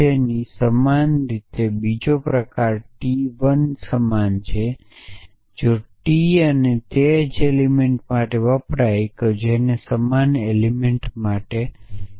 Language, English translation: Gujarati, The second kind t 1 t i equal to t j this maps to true if t i and stands for the same element if they stand for the same element essentially